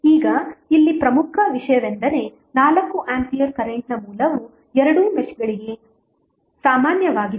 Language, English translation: Kannada, Now, here the important thing is that the source which is 4 ampere current is common to both of the meshes